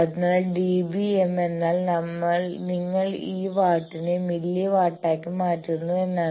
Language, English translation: Malayalam, So, dB m means that you convert this watt to milli watt